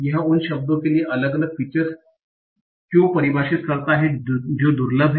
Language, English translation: Hindi, Why does he define separate features for the words that are rare